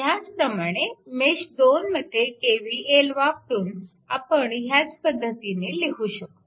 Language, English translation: Marathi, If you apply KVL in mesh 2, so same way you can move